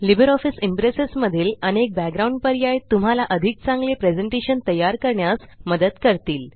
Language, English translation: Marathi, LibreOffice Impress has many background options that help you create better presentations